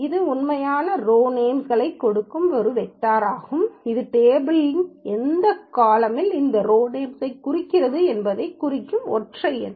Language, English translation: Tamil, This can be a vector giving the actual row names or a single number specifying which column of the table contains this row names